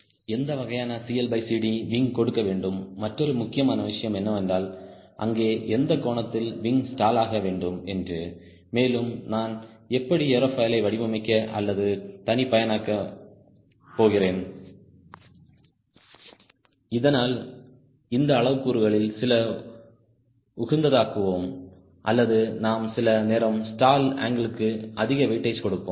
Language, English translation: Tamil, another important thing is: what is the stall angle right there, at what angle the wing is supposed to stall and how do i design or customize the aerofoil so that either few of this parameters are optimized or or some time, will give more weightage to the stall angle